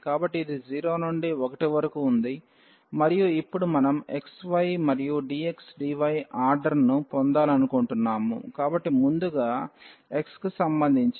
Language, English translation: Telugu, So, this was 0 to 1 and now we want to have the order xy and dx dy; so, first with respect to x